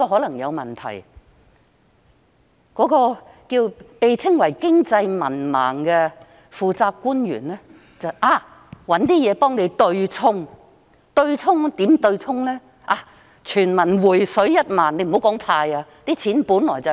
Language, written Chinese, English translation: Cantonese, 那個被稱為"經濟文盲"的負責官員也知道可能有問題，於是想出一些方法來對沖。, The responsible officer alleged to be an economic illiterate knew that there might be a problem and so he thought of a way to hedge his bet